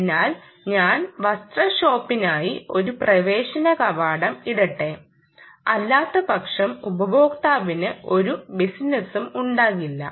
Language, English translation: Malayalam, so let me put an entrance for the garment shop, otherwise there is not going to be any business for the user